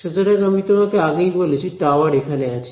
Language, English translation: Bengali, So, I have told you that tower is here